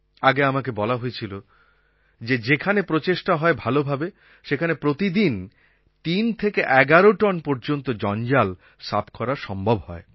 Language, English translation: Bengali, I have been told a few days ago that in places where this work is being carried out properly nearly 3 to 11 tonnes of garbage are being taken out of the river every day